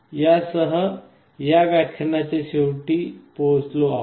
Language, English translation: Marathi, With this we come to the end of this lecture